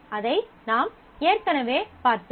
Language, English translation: Tamil, We have already seen that